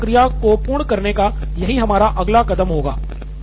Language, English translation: Hindi, So that would be our next step to end this whole process